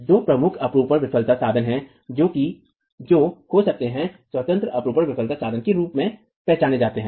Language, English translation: Hindi, There are two major shear failure modes that can be identified as independent shear failure modes